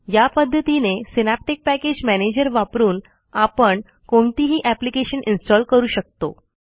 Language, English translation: Marathi, If you are using the synaptic package manager for the first time, you need to reload the packages